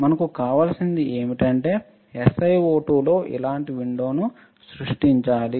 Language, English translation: Telugu, What we want is that we need to create a window in SiO2 like this